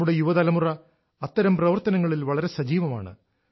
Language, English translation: Malayalam, Our young generation takes active part in such initiatives